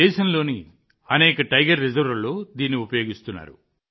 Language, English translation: Telugu, It is being used in many Tiger Reserves of the country